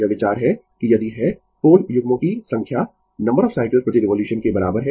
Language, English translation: Hindi, This is the idea that if you have number of pole pairs is equal to number of cycles per revolution